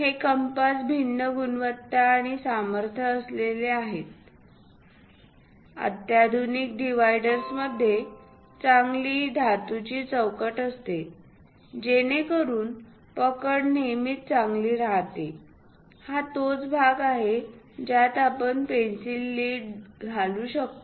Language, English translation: Marathi, This compasses are of different quality and also strength; the sophisticated ones have nice metallic frames so that the grip always be good, and this is the part where pencil lead can be inserted